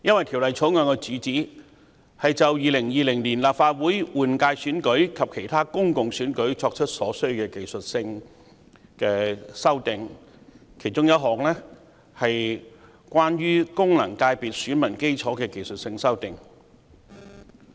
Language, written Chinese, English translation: Cantonese, 《條例草案》的主旨是就2020年立法會換屆選舉及其他公共選舉作出所需的技術性修訂，其中一項是有關功能界別選民基礎的技術修訂。, The purpose of the Bill is to introduce necessary technical amendments for the 2020 Legislative Council General Election and other public elections with one of them being technical amendments concerning the electorate of the functional cconstituencies FCs